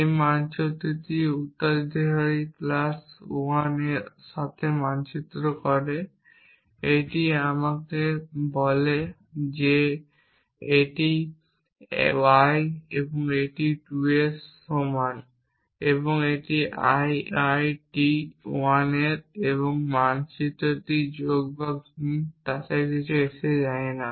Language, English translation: Bengali, This maps to successor plus 1, this let us say this is of I i t 2 and this is of ii t 1, this maps to plus or multiplication it does not matter some binary operation on this